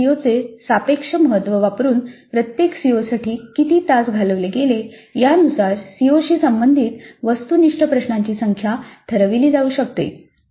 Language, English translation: Marathi, Again using the relative importance of each CO, the relative number of hours spent for each COO, the number of objective questions belonging to a COO can be decided